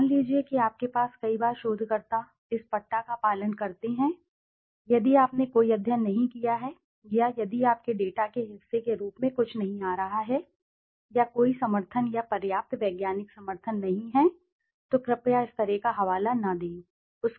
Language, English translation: Hindi, Suppose you have, many a times researchers do this followed this strap, if you have not done a study or if something is not coming as a part of your data or there is no backing or substantial scientific backing then please, please do not cite such data